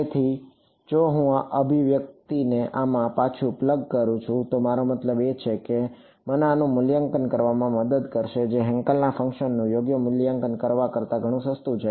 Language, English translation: Gujarati, So, if I plug this expression back into this that is I mean that is what will help me evaluating this is much cheaper than evaluating Hankel function right